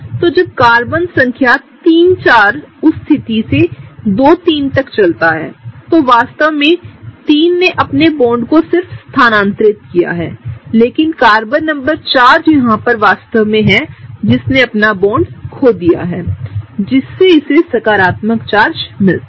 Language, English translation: Hindi, So, when Carbon number 3, 4 moves from that position 2 to 3; 3 is really just shifting one of its bonds right, but the fourth Carbon here, it really loses a bond, so that gets the positive charge